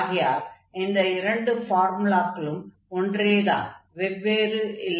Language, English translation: Tamil, So, these two formulas are same, they are not different